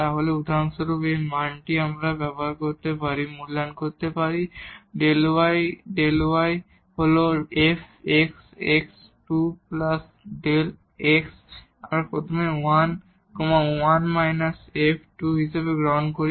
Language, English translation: Bengali, So, for example, this value we can evaluate here delta y delta y is f the x is 2 plus delta x we take first as 1 so, 1 and minus this f 2